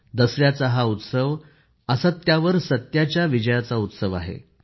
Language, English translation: Marathi, The festival of Dussehra is one of the triumph of truth over untruth